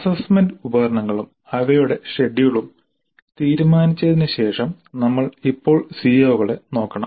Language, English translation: Malayalam, After deciding on the assessment instruments and their schedule we must now look at the COs